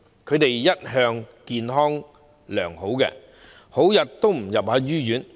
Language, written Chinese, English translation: Cantonese, 他們一向健康良好，很少入醫院。, They used to be in good health and are seldom hospitalized